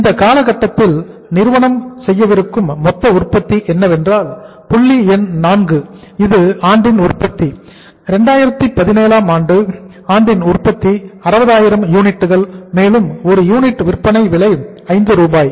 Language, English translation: Tamil, The total production the company is going to have in this period is that is production during the year, point number 4, production during 2017 was 60,000 units and what is the say uh cost of selling price of 1 unit is 5, Rs